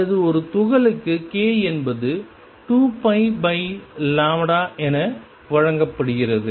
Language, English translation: Tamil, Or k for a particle, it is given as 2 pi over lambda